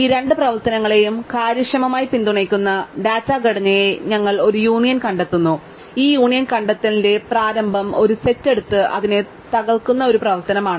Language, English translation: Malayalam, We call this a union find data structure which supports these two operations efficiently, and the initialization of this union find is an operation which takes a set and breaks up to it